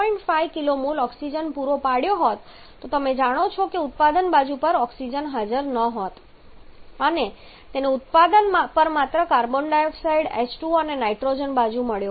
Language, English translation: Gujarati, 5 kilo mole of oxygen then you know there would have been no oxygen present on the product side and it would have got only carbon dioxide H2O and nitrogen on the product